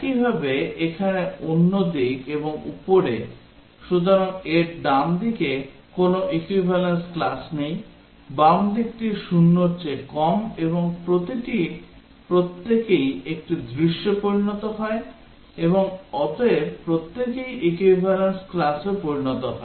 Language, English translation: Bengali, Similarly, here the other side and above, so there is no equivalence class on the right side of this, left side less than 0 and then each one is a scenario and therefore each one becomes an equivalence class